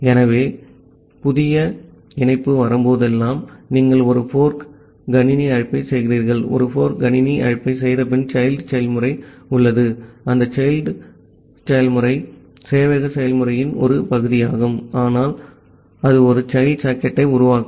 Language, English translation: Tamil, So, that is why the idea is that, whenever a new connection is coming, you make a fork system call and after making a fork system call have a child process, that child process that is the part of the server process, but that will create a child socket it will